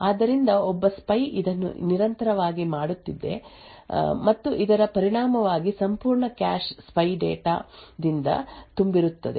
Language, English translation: Kannada, So, spy is continuously doing this and as a result the entire cache is filled with the spy data